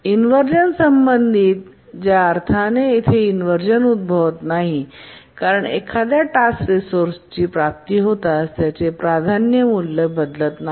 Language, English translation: Marathi, The inheritance related inversion in that sense does not occur here because as soon as a task acquires a resource its priority value does not change